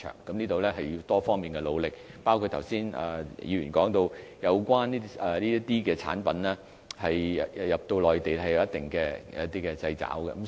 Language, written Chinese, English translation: Cantonese, 這事需要多方面的努力，包括剛才議員提到，有關的產品進入內地市場有一定的限制。, This takes the efforts of various sectors to resolve the problems including the restrictions on the quantity of the relevant products permitted to be brought into the Mainland as mentioned by the Member